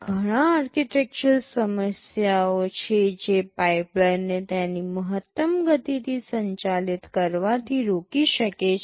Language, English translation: Gujarati, There are a lot of architectural issues that can prevent the pipeline from operating at its maximum speed